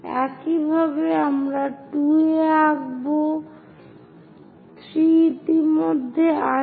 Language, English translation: Bengali, Similarly, we will draw at 2; 3 is already there